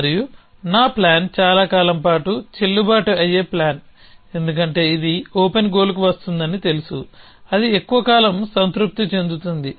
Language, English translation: Telugu, And my plan with a longer is a valid plan, because is would know this would come on open goal which on a longer be satisfied